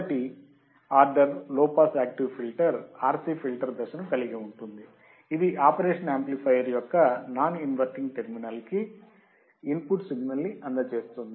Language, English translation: Telugu, The first order low pass active filter consists of RC filter stage providing a low frequency part to the input of non inverting operation amplifier